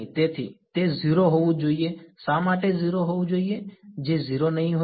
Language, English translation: Gujarati, So, it should be 0 why should be 0 that will not be 0